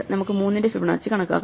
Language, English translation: Malayalam, So, we can compute Fibonacci of 3